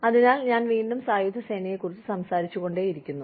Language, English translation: Malayalam, So, in again, I keep talking about the armed forces